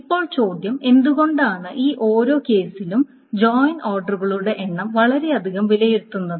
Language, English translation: Malayalam, Now the question is for each of these cases the number of join orders to evaluate is too many